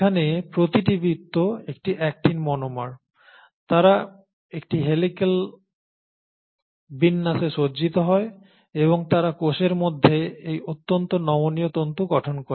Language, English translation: Bengali, So these Actin monomers, so here each circle is an actin monomer, they arrange in an helical arrangement and they form this highly flexible fibres within the cell